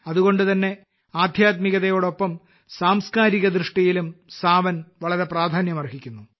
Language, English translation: Malayalam, That's why, 'Sawan' has been very important from the spiritual as well as cultural point of view